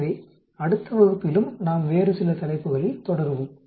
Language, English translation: Tamil, So we will continue on some other topic in the next class